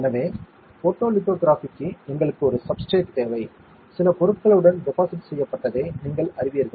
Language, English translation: Tamil, So, for photolithography, we need a substrate as you will know with deposited with some material